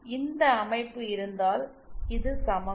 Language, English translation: Tamil, if we have this structure then this is equivalent to this